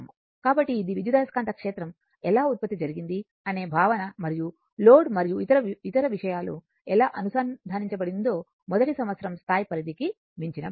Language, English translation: Telugu, So, this is an idea to give you how EMF is generated and how the your load and other thing is connected that is beyond the scope at the first year level